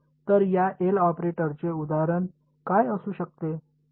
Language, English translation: Marathi, So, what could be an example of this L operator